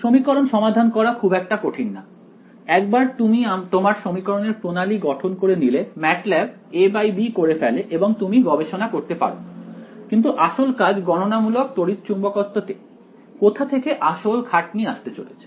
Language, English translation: Bengali, This no solving the equation is not difficult; once you form your system or equations MATLAB does a slash b or done and you can do research in that, but as sort of core work in computational electromagnetic, where is that effort going to come in